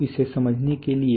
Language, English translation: Hindi, So to be able to understand that